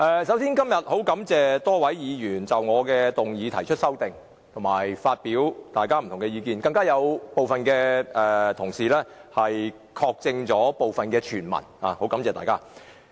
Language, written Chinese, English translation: Cantonese, 首先，十分感謝多位議員就我的議案提出修正案和各抒己見，更有同事確證了部分傳聞，十分感謝大家。, First of all I thank Members for proposing amendments to my motion and expressing their views . Some colleagues even confirmed some of the hearsay . I am very grateful to everyone